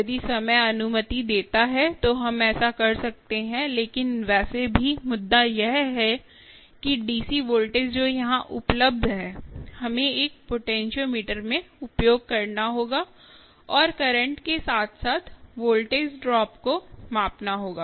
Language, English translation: Hindi, if time permits, we can do that, but anyway, just the point is that the d, c voltage that is available here, ah, we will have to be used across a potentiometer and keep measuring the current as well as the voltage